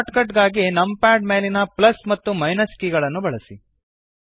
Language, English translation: Kannada, For shortcut, use the plus and minus keys on the numpad